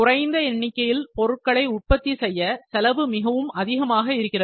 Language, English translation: Tamil, If we need to produce small number, the cost is very high